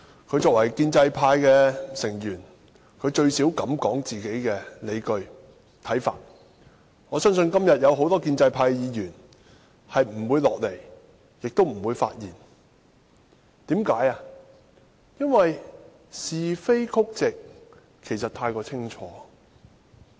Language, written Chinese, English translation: Cantonese, 他作為建制派成員，最少他敢提出自己的理據和看法。我相信很多建制派議員今天不會到來會議廳，亦不會發言，因為是非曲直太過清楚。, As a pro - establishment Member he had the courage to at least express his arguments and views which I believe many of his peers do not dare do in the Chamber today because the rights and wrongs of the incident cannot be clearer